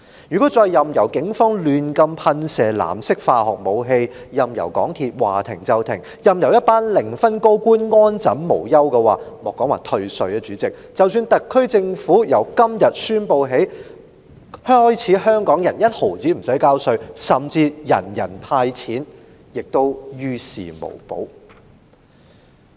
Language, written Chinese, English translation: Cantonese, 如果我們再任由警方胡亂噴射藍色化學水劑、任由港鐵服務說停便停、任由一群零分高官安枕無憂，主席，莫說只是退稅，即使特區政府宣布從今天起香港人連一毫稅款也無須繳交，甚至提出人人"派錢"，我相信也於事無補。, If we keep on allowing the Police to spray blue chemical liquid erratically the MTR Corporation to suspend services at will and the team of senior government officials who score zero to stay unscathed and carefree President I think nothing can help not even if the SAR Government announces a complete tax exemption for Hong Kong people from today nor even if cash is handed out to everyone not to say a mere tax rebate